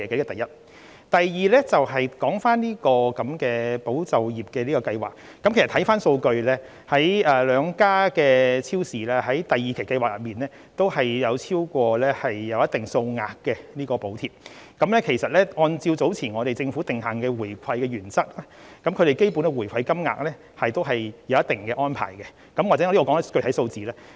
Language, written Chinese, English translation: Cantonese, 第二，關於"保就業"計劃，看回數據，兩間超市在第二期計劃中也有申領超過一定數額的補貼，而按照政府早前訂下的回饋原則，對於它們的基本回饋金額也是有一定安排的，也許我在此提出一些具體數字。, Second regarding the Employment Support Scheme if we refer to the statistics the two supermarket chains applied for considerable amounts of wage subsidies in the second tranche of the Scheme . Based on the give - back principle laid down by the Government earlier they are required to offer rebate to their customers . Perhaps let me provide Members with some specific data here